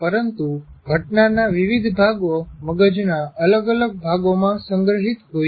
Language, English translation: Gujarati, But different parts of the event are stored in different parts of the brain